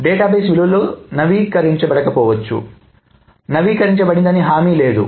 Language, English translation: Telugu, So the database values may not have been updated and there is no guarantee that it has been updated